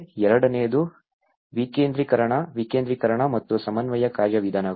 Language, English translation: Kannada, The second is decentralization; the decentralization and the coordination mechanisms